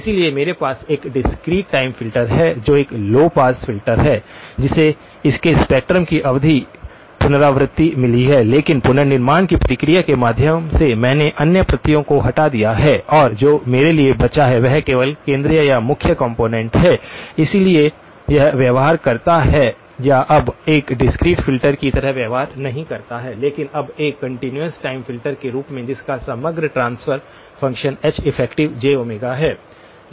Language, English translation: Hindi, So, I have a discrete time filter which is a low pass filter which has got periodic repetitions of its spectrum but through the process of reconstruction, I have removed the other copies and what is left for me is only the central or the main component, so it behaves or now behaves not like a discrete and filter but now as a continuous time filter whose overall transfer function is H effective of j omega